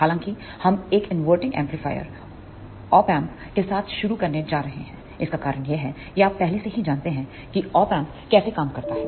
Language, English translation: Hindi, However, we are going to start with an inverting amplifier Op Amp, the reason for that is you are already familiar with how Op Amps work